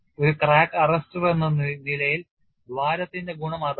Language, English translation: Malayalam, That is advantage of hole as a crack arrester